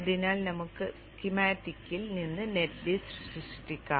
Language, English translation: Malayalam, So let us generate the net list from the schematic